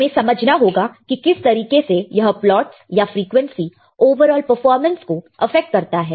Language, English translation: Hindi, We had to understand how the plots or how the frequency will affect the overall performance right